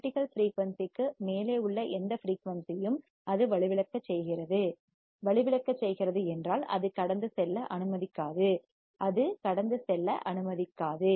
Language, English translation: Tamil, Any frequency above the critical frequency it will attenuate, it will attenuate, attenuate means it will not allow to pass, it will not allowed to pass